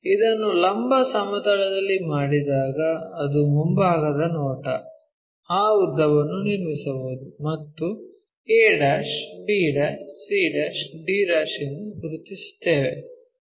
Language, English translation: Kannada, When it is done in the vertical plane the front view, we can draw that length locate a', b', c', d'